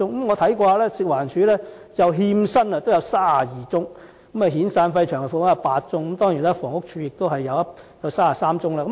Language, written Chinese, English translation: Cantonese, 我發現食環署的欠薪個案有32宗；遣散費及長期服務金有8宗，當然房屋署的個案也有33宗。, I note that there were 32 cases on non - payment of wages and eight cases on SP and LSP for the FEHD and of course HD also has 33 cases